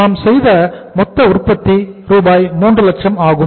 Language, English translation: Tamil, So it means total is the 3 lakh rupees